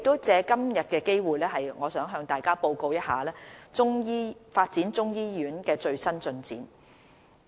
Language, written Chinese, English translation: Cantonese, 藉今天的機會，我想向大家報告發展中醫醫院的最新進展。, Today I would like to take this opportunity to provide an update on the latest development of the Chinese medicine hospital